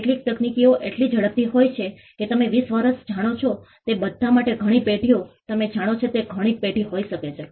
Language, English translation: Gujarati, Some technologies are so quick they are you know twenty years maybe many generations for all you know it could be many generations